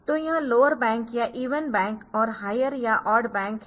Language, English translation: Hindi, So, that is lower bank our even or lower bank and odd higher bank